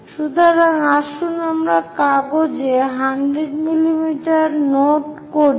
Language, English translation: Bengali, So, let us note 100 mm on page